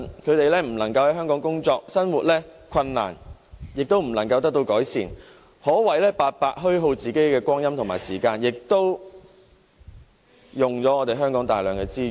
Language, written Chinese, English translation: Cantonese, 他們不能在香港工作，生活困難亦不能得到改善，可謂白白虛耗光陰，亦會耗費香港大量資源。, There is nothing they can do except wait indefinitely as they are not allowed to seek employment here so their difficulties in life can never be improved . They are just wasting their life and a great deal of Hong Kongs resources as well